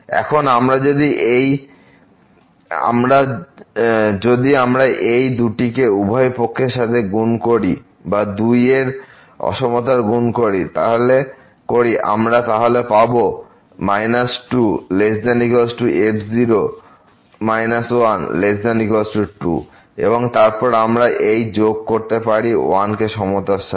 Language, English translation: Bengali, Now, if we multiply this to both the sides or that we can multiply to this inequality here we will get minus less than equal to minus , less than equal to and then we can add this to the inequality